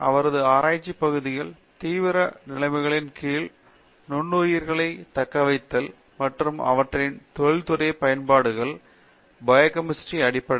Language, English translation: Tamil, His areas of research include survival of microbes under extreme conditions and exploiting this aspect for industrial applications